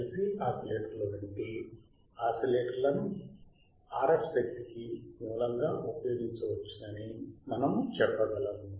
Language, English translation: Telugu, I can use LC oscillators as a source for RF energy